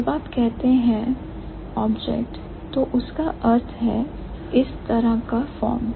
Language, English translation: Hindi, So, when you say 0, that means this kind of a form